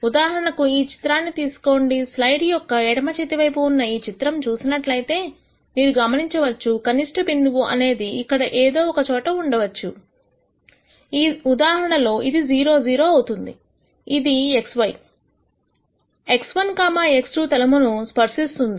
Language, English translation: Telugu, Take this picture for example, if you look at this picture right here on the left hand side of the slide you will notice that the minimum point is somewhere around here, which in this case happens to be 0 0 this is touching the x y, x 1, x 2 plane and that is a solution minimum point is 0